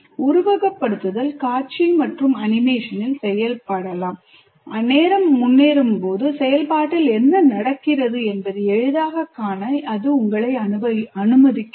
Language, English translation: Tamil, Simulation can be visual and animated allowing you to easily see what's happening in the process as time progresses